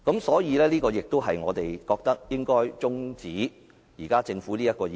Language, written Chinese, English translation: Cantonese, 所以，這亦是我們覺得辯論應該中止待續的原因。, This is also why we think this debate should now be adjourned